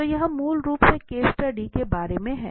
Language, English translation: Hindi, So, this is basically all about the case study